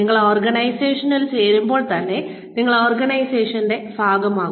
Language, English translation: Malayalam, You become part of the organization, as soon as you join the organization